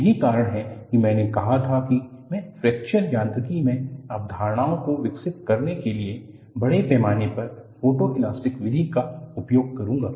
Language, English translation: Hindi, That is the reason why I said, I would be using extensively photoelastic method for developing the concepts in Fracture Mechanics